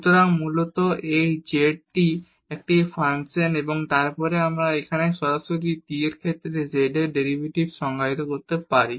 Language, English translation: Bengali, So, basically this z is a function of t and then we can define here the derivative of z with respect to t directly